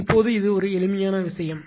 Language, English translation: Tamil, Now, this is the simple thing right